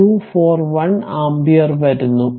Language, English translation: Malayalam, 241 ampere right